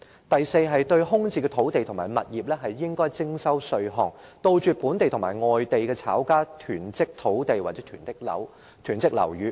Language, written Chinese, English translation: Cantonese, 第四，應該對空置土地和物業徵稅，以杜絕本地和外地炒家囤積土地或樓宇。, Fourth taxes should be levied on vacant land and properties to eradicate the hoarding of land or buildings by local and foreign speculators